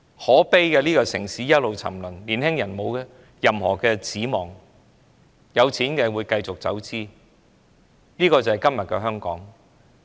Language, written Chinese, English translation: Cantonese, 可悲的是這個城市一直沉淪，年青人沒有任何指望，有錢的便繼續當其走資派，這便是今日的香港。, It is sad to see the depravity of this city the hopelessness of young people while the rich will continue to take up the role as capitalists and this is what we see in Hong Kong today